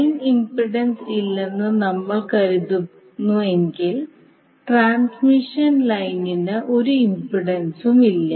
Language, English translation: Malayalam, If we assume there is no line impedance means there is no impedance for the transmission line